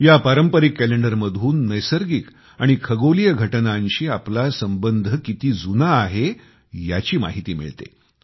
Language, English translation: Marathi, This traditional calendar depicts our bonding with natural and astronomical events